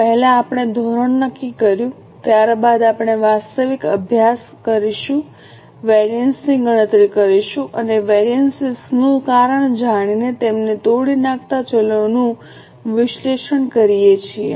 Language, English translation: Gujarati, First we set the standard, then we study the actual, compute the variances and analyze the variances, that is, break them down for knowing the reasons for variances